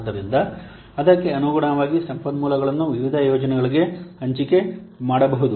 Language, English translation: Kannada, So accordingly accordingly, the resources can be allocated to different projects